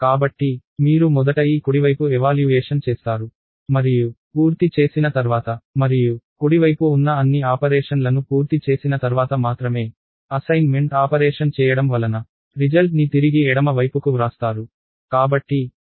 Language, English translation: Telugu, So, you would evaluate this right hand side first and after completing and only after completing all the operation on the right hand side, the assignment operation is perform this will write the result back on to the left hand side